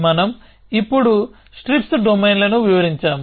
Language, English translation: Telugu, So, we had describing strips domains now